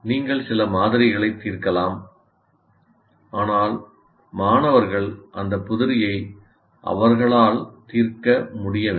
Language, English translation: Tamil, You may solve some sample, but the students should be able to solve those problems by themselves